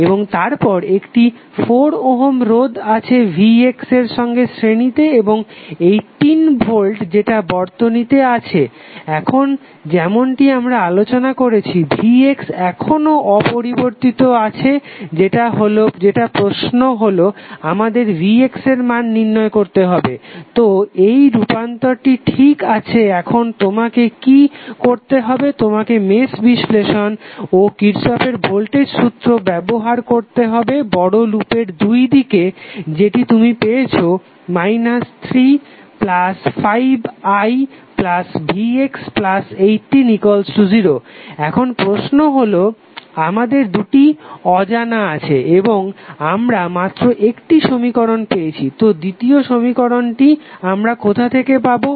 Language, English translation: Bengali, And then you have 4 ohm in series with Vx and then 18 volts which we have in the circuit, now as we discuss now Vx is still intact which is the question that we need to find out the value of Vx so we are okay with the transformations now, what you have to do, you have to use mesh analysis and you apply Kirchhoff’s voltage law across the bigger loop what you will get, you will get, minus 3 plus 4 ohm plus 1 ohm will be like the 5 ohm into current I